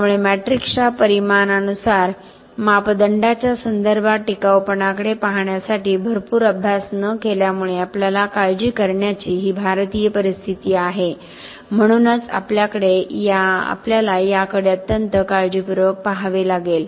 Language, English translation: Marathi, So, this is the Indian scenario we have to start worrying about it not doing a lot of studies to look at sustainability in terms of quantifying parameters in terms of matrix so this is the reason why we have to look at this very carefully